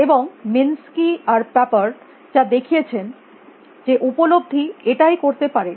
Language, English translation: Bengali, And what minsky and papered show would was a that is all perception could do